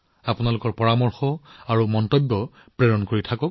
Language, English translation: Assamese, Do keep sending your suggestions and ideas